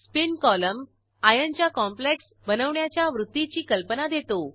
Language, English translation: Marathi, Spin column gives idea about complex formation tendency of Iron